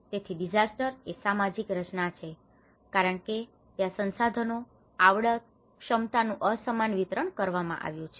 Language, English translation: Gujarati, So, disaster is a social construct because there has been an unequal distribution of resources, skills, abilities